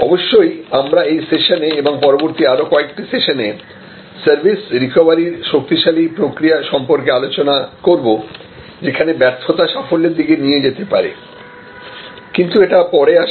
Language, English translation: Bengali, And of course, what we will discuss in a session, a couple of sessions later is about this very powerful process of service recovery, where failure can actually lead to success, but that comes later